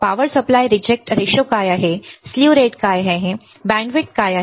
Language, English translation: Marathi, What is power supply rejection ratio right, what is slew rate, what is bandwidth